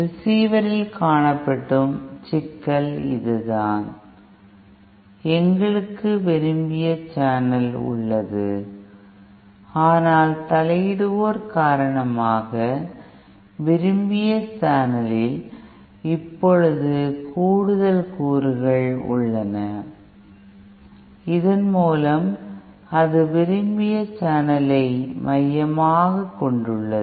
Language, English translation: Tamil, You know that, this is the problem that is seen in the receiver, that we have a desired channel but because of the interferers, there are now additional components in the desired channel and thereby it core ups the desired channel